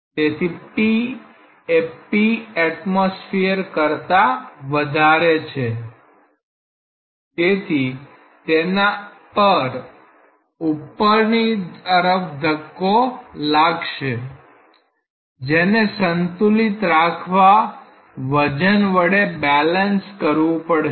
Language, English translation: Gujarati, So, if p is greater than p atmospheric pressure there will be a up thrust on it and that should be balanced by the weight to keep it in equilibrium